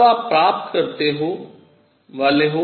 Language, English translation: Hindi, Then you are going to get